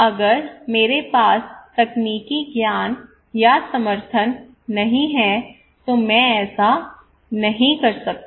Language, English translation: Hindi, If I do not have the technological knowledge or support then I cannot do it